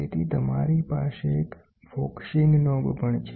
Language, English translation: Gujarati, So, you also have a focusing knob